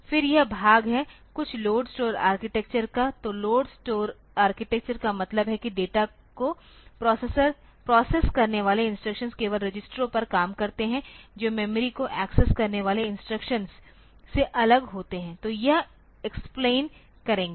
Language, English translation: Hindi, Then it fall it is something called a load store architecture so, load store architecture means the instructions that process data operate only on registers that separate from instructions that access memory so, will explain this